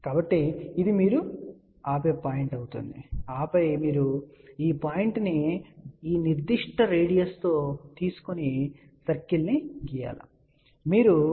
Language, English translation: Telugu, So, this will be the point where you stop and then you take this point with this particular radius draw the circle